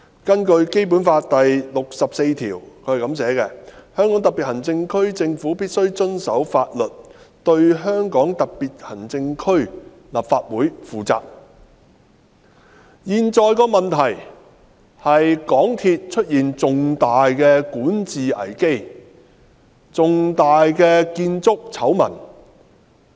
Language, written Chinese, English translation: Cantonese, 根據《基本法》第六十四條："香港特別行政區政府必須遵守法律，對香港特別行政區立法會負責......當前的問題是香港鐵路有限公司出現重大管治危機和重大的建築醜聞。, According to Article 64 of the Basic Law The Government of the Hong Kong Special Administrative Region must abide by the law and be accountable to the Legislative Council of the Region At issue is that MTRCL is in a significant management crisis and embroiled in major construction works scandals